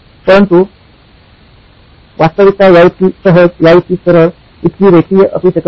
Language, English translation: Marathi, The reality may not be as simple as this, as straightforward as this, as linear as this